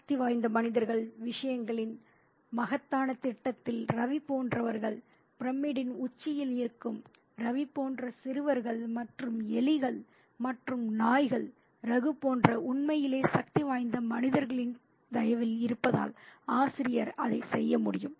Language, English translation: Tamil, The author can do that because in the grand scheme of things in which powerful human beings are at the top of the pyramid, people like Ravi, young boys like Ravi and rats and dogs are at the mercy of the really powerful human beings such as Raghu